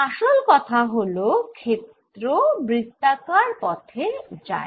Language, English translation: Bengali, after all, field goes in a circular line